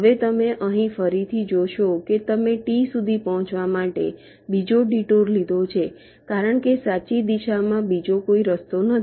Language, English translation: Gujarati, now you see, from here again you have take another detour to reach t because there is no other path in the right direction